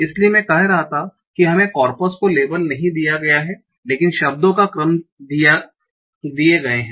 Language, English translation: Hindi, So, I was saying that we are given the corpus, not labeled, but the word sequences are given